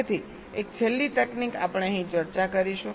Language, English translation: Gujarati, so, and one last technique we discuss here